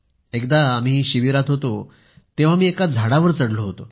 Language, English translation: Marathi, While we were at camp I climbed a tree